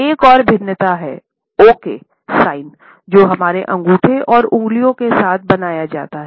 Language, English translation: Hindi, Another variation is the ‘okay’ signed, which is made with our thumb and fingers